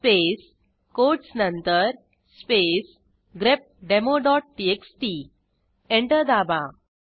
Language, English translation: Marathi, space after the quotes space grepdemo.txt Press Enter